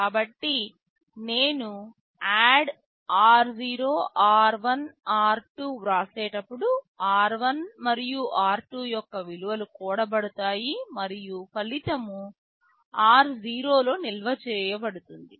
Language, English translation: Telugu, So, when I write ADD r0, r1, r2 the values of r1 and r2 will be added and the result will be stored in r0